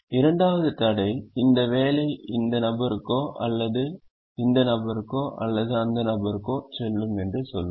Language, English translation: Tamil, the second constraint will say that this job will go to either this person or this person, or this person or this person